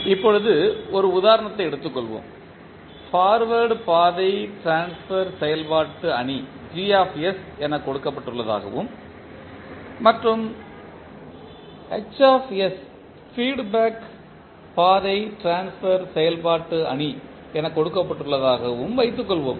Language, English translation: Tamil, Now, let us take one example suppose forward path transfer function matrix is Gs given and the feedback path transfer function matrix is Hs it is given